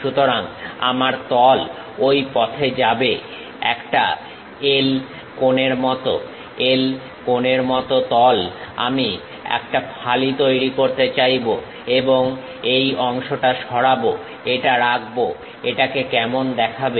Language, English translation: Bengali, So, my plane actually goes in that way; like a L angle, L angle plane I would like to really make a slice and remove this part, retain this how it looks like